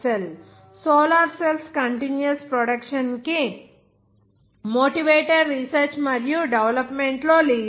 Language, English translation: Telugu, W Fraser Russell is a leader in motivated research and development for the continuous production of solar cells